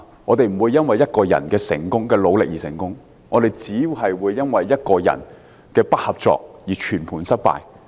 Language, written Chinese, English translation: Cantonese, 我們不會因為一個人的努力而成功，但卻會因為一個人的不合作而全盤失敗。, The efforts of one single man may not bring success but the refusal to cooperate by one single person will result in a complete failure